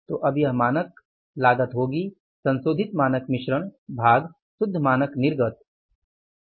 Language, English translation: Hindi, So, it will be now standard cost of the revised standard mix divided by the net standard output